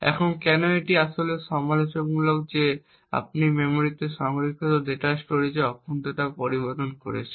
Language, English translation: Bengali, Now why this is actually critical is that you are modifying the integrity of the storage of the data stored in the memory